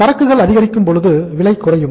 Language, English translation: Tamil, That inventory is increasing, prices are falling down